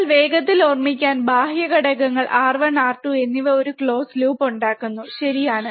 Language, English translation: Malayalam, But just to quickly recall, external components R 1 and R 2 form a close loop, right